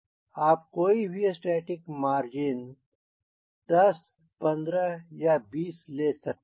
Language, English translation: Hindi, you can take, can you an static margin, ten, fifteen, twenty, whatever you like